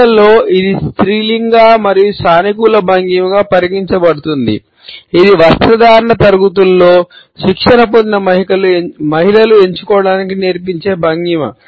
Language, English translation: Telugu, Amongst women it is considered to be a feminine and positive posture; this is a posture which women in the grooming classes are taught to opt for